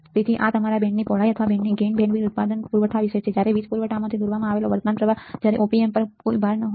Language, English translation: Gujarati, So, this is about your band width or band gain bandwidth product supply current the current drawn from the power supply when no load of the, when no load on the Op amp is call your